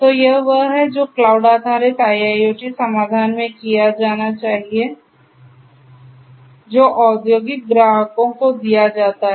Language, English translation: Hindi, So, this is what should be done in a cloud based IIoT solution that is offered to the industrial clients